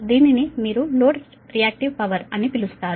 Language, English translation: Telugu, this is that your what you call load reactive power